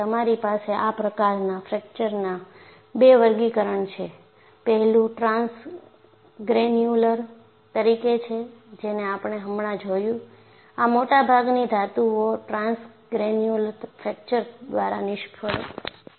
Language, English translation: Gujarati, And you also have 2 classification of this kind of fractures; one is a transgranular, that is what we had seen just now, and it says that most metals fail by transgranular fracture